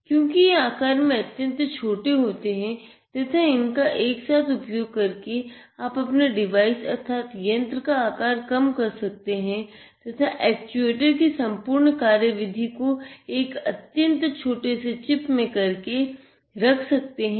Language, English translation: Hindi, Because they are smaller in size and you can integrate them and have your device size reduced and have the entire function or mechanism of actuation in a very small chip